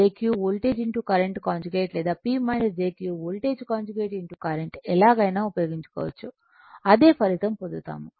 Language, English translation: Telugu, Either way you can use right either P plus jQ voltage into current conjugate or P minus jQ is equal to voltage conjugate into current, you will get the same result